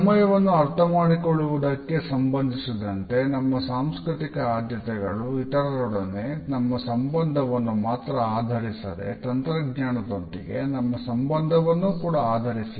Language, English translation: Kannada, Our cultural preferences as far as our understanding of time is concerned are reflected not only in our relationship with other people, but also in our relationship with technology